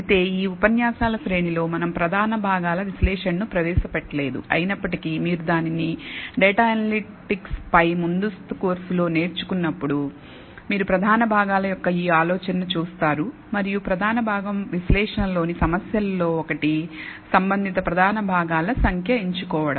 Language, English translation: Telugu, Although we have not introduced principal component analysis in this series of lectures, nevertheless when you learn it in a higher advance course on data analytics, you will come across this idea of principal components and one of the problems in principal component analysis is to select the number of principal components that are relevant